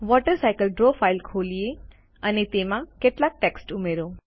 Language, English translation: Gujarati, Let us open the Draw file Water Cycle and add some text to it